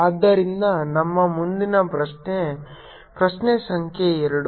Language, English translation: Kannada, so our next question is question number two